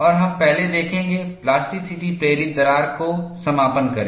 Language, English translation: Hindi, And, we will first see, plasticity induced crack closure